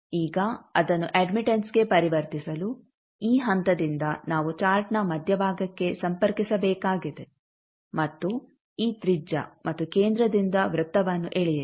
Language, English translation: Kannada, Now to convert it to admittance what you need to do from this point to we need to connect to the center of the chart and with this radius and center draw a circle